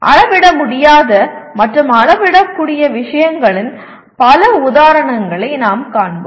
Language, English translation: Tamil, We will see plenty of examples where things are not measurable, where things are measurable